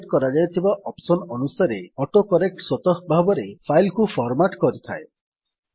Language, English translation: Odia, AutoCorrect automatically formats the file according to the options that you set